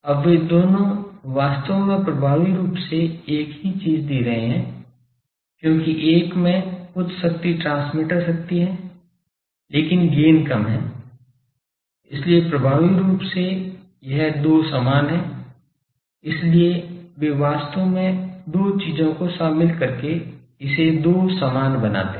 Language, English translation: Hindi, Now both of them are actually giving effectively same thing, because one is having a higher power transmitter power, but the gain is less so, effectively this two are same, so they actually make this two equal by incorporating these two things in the product